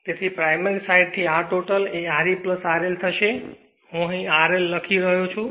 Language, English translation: Gujarati, So, from the primary side that R total will be R e plus R L here I am writing R L right